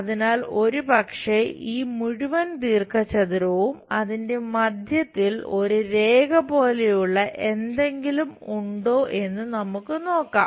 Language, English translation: Malayalam, So, perhaps this entire rectangle, we will see it there is something like a line at middle